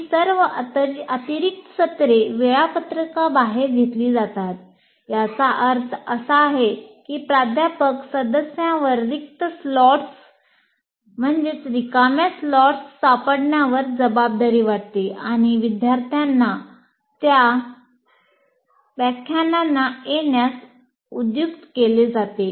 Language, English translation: Marathi, First of all, these additional sessions are conducted outside the timetable, which means the faculty member is burdened with finding out empty slots or available slot, perciate the fact students to come and attend those lectures and so on and on